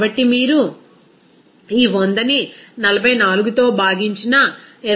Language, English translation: Telugu, So, if you multiply this 100 divided by 44 into 22